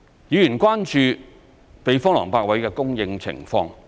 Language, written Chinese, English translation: Cantonese, 議員關注避風塘泊位的供應情況。, Members are concerned about the supply of berthing spaces at typhoon shelters